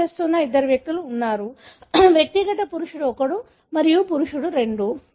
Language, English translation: Telugu, There are two individuals who are claiming, individual male 1 and male 2